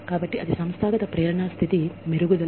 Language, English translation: Telugu, So, that is the enhancement of organizational motivation state